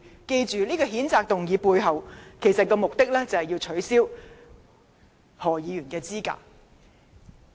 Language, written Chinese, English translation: Cantonese, 記着，譴責議案的目的，其實是想取消何議員的議員資格。, Remember the censure motion is actually aimed to disqualify Dr HO from office